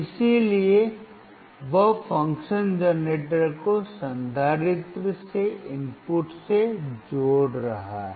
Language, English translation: Hindi, So, he is right now connecting the function generator to the input of the capacitor